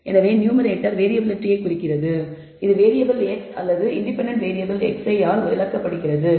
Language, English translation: Tamil, So, the numerator represents the variability, which is explained by the ex planatory variable x i or the independent variable x i